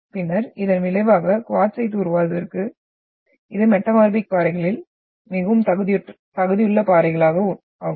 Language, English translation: Tamil, And then result into the formation of quartzite you are having which is very much most competent rocks among the metamorphic rocks